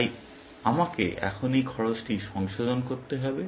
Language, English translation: Bengali, So, I have to revise this cost now